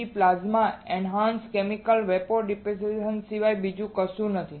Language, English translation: Gujarati, PECVD is nothing but Plasma Enhanced Chemical Vapor Deposition